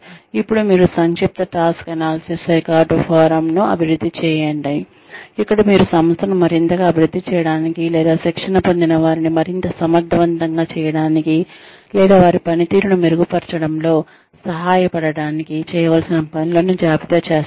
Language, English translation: Telugu, Then, you develop an abbreviated task analysis record form, where you list, whatever needs to be done, in order to make the organization more, or in order to, make the trainees more effective, or to help them, improve their performance